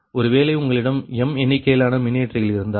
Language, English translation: Tamil, so suppose you have m number of generators